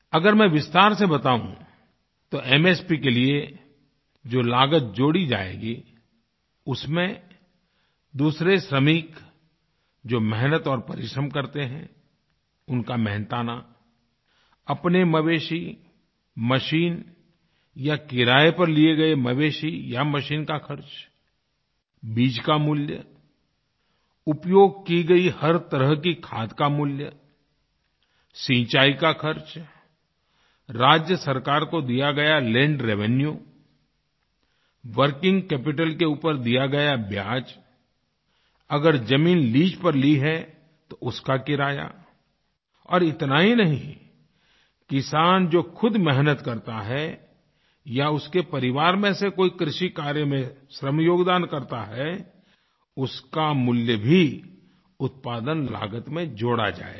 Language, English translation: Hindi, If I may elaborate on this, MSP will include labour cost of other workers employed, expenses incurred on own animals and cost of animals and machinery taken on rent, cost of seeds, cost of each type of fertilizer used, irrigation cost, land revenue paid to the State Government, interest paid on working capital, ground rent in case of leased land and not only this but also the cost of labour of the farmer himself or any other person of his family who contributes his or her labour in agricultural work will also be added to the cost of production